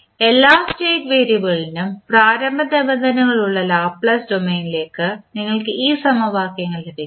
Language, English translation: Malayalam, So, you will get these equations in Laplace domain where you have initial conditions for each every state variable